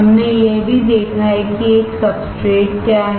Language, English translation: Hindi, We have also seen that, what is a substrate